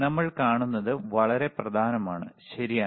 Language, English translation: Malayalam, What we see is extremely important, all right